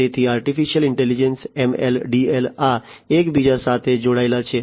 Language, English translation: Gujarati, So, Artificial Intelligence, ML, DL, etcetera, these are linked to each other